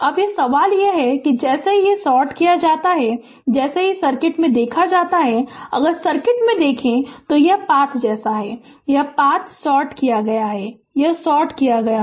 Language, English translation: Hindi, Now, question is that ah as soon as it is ah as soon as it is sorted, if you look into the circuit, if you look into the circuit as this path is as this path is sorted ah as this path is sorted, this is sorted right